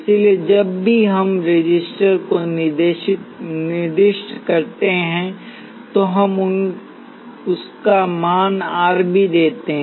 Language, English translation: Hindi, So, whenever we specify the resistor, we also give its value R